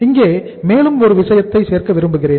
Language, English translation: Tamil, Here one more thing I would add here